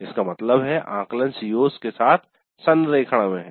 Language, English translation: Hindi, That means assessment is in alignment with the COs